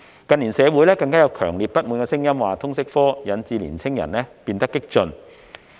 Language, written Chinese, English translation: Cantonese, 近年社會上更有強烈不滿聲音，指通識科導致年青人變得激進。, In recent years there has been strong resentment in society that the LS subject has made the young people radical